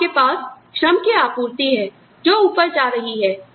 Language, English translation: Hindi, So, you have the supply of labor, that is going up